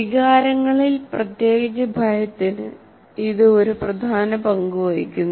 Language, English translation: Malayalam, It plays an important role in emotions, especially fear